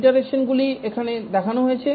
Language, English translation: Bengali, The iterations are shown here